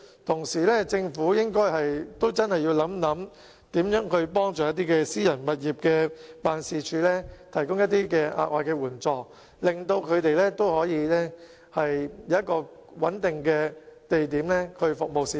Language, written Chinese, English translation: Cantonese, 政府同時應該認真考慮怎樣幫助租用私人物業作辦事處的區議員，提供額外的援助，令他們可以有穩定的地點服務市民。, The Government should at the same time seriously consider ways to assist DC members who rent private premises as offices and provide them with extra support so that they can have a stable place to serve the public